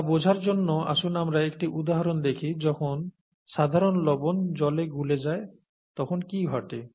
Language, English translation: Bengali, To understand that, let us look at an example of what happens when common salt dissolves in water